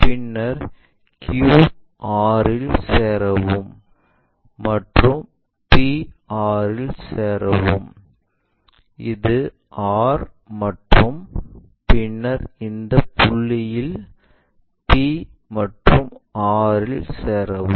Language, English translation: Tamil, Then join q r and join p r; this is r and then join this point p and r